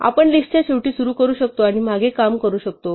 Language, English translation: Marathi, So, we can start at the end of the list and work backwards